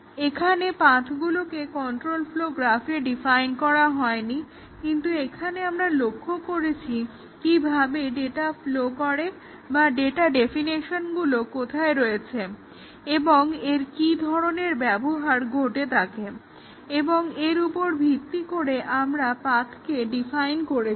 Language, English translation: Bengali, The paths are not defined on the flow graph control flow graph, but here we looked at what how does the data flow or where are the data definitions and uses occur and based on that we defined the path